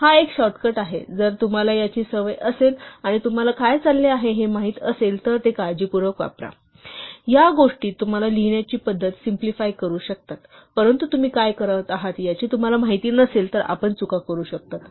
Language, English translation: Marathi, So this is a shortcut, now use it with care sometimes if you are used to it and if you are familiar with what is going on, this can simplify the way you write things, but if you are not familiar with what you are going on, you can make mistakes